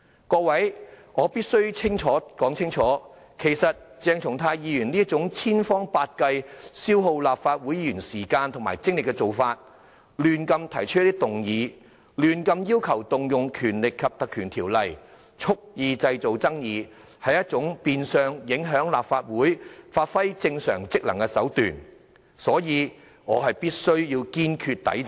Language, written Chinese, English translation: Cantonese, 各位，我必須說清楚，鄭松泰議員這種千方百計、消耗立法會議員時間和精力的做法，胡亂提出議案和要求引用《條例》，蓄意製造爭議，是一種變相影響立法會發揮正常職能的手段，所以我必須堅決抵制。, Dr CHENG Chung - tai is in fact trying every tactics to consume the Councils time and energy and deliberately provoke conflicts by randomly moving motions and requesting the exercise of powers under the Ordinance . I must adamantly resist his plot to obstruct the Councils normal operation